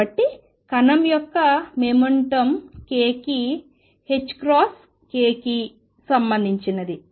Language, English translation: Telugu, So, momentum of the particle is related to k as h cross k